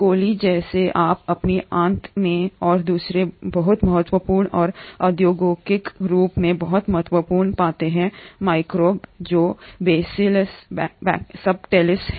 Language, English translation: Hindi, coli that you find in your gut and another very important and industrially a very important microbe which is the Bacillus subtilis